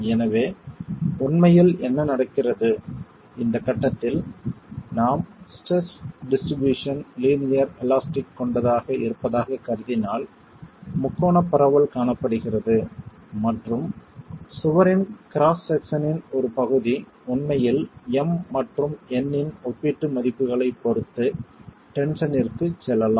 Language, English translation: Tamil, So, what is actually happening is under, if we are, at this stage we are assuming that the distribution of stresses is linear elastic, triangular distribution is seen and part of the wall cross section can actually go into tension depending on the relative values of M and N